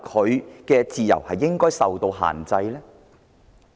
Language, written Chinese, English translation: Cantonese, 他的自由是否應該受到限制？, Should his freedom be restricted?